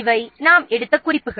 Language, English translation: Tamil, These are the references we have taken